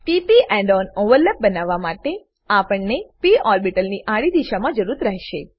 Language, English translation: Gujarati, To form p p end on overlap, we need p orbitals in horizontal direction